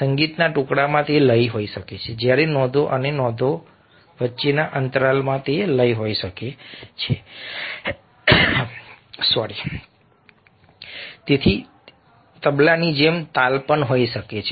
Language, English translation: Gujarati, a musical piece can have it's rhythm when notes and gap between the notes can have that and it can be accompanied by also rhythm, as with a tabla